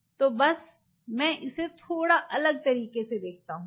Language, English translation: Hindi, So, just to visualize it let me just put it A slightly different way